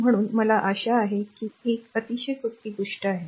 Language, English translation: Marathi, So, hope it is understandable very simple thing right